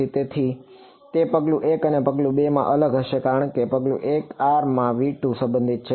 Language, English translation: Gujarati, So, it will be different in step 1 and step 2 because in step 1 r is belonging to v 2